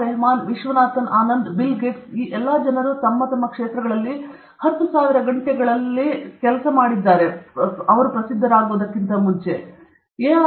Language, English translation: Kannada, Rahman, Viswanathan Anand, Bill Gates all these people put in 10,000 hours in their respective fields before they became famous